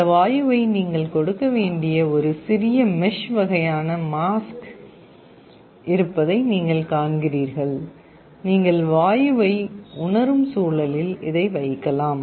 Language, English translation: Tamil, You see there is a small mesh kind of a mask where you have to give that gas, you can put it in the environment where you are sensing the gas